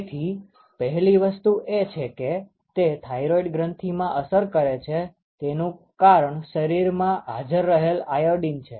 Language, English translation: Gujarati, So, so the first thing one of the first things that get us affected is the thyroid gland that is because, the iodine which is present in the body